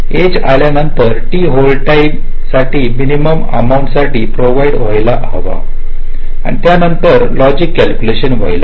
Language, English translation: Marathi, so after the edge comes, a minimum amount of t hold time must be provided and only after that the logic calculations